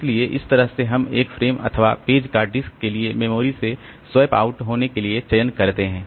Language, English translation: Hindi, So, that way we select a frame, select a page to be swapped out from the memory to the disk